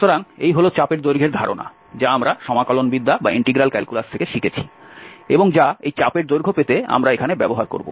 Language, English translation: Bengali, So, this is the idea of the arc length which we have learned from the integral calculus and that we will apply here to get this arc length